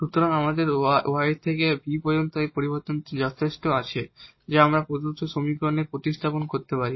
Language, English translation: Bengali, So, we have this change enough from y to v which we can substitute in the given equation